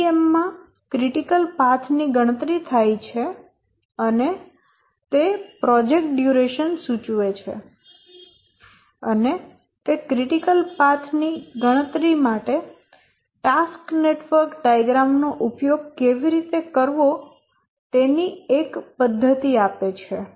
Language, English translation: Gujarati, And one important thing of CPM that it allowed to compute the critical path and therefore the critical path indicates the project duration and it gave a method how to use the task network diagram to compute the critical path